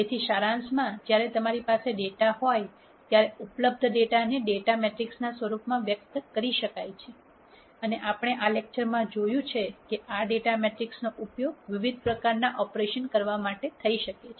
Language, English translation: Gujarati, So, to summarize, when you have data, the available data can be expressed in the form of a data matrix and as we saw in this lecture this data matrix can be further used to do di erent types of operations